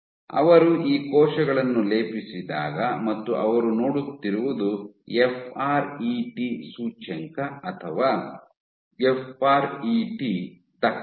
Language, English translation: Kannada, And what they showed what they showed was when they plated these cells and what they were looking at is the FRET index or the FRET efficiency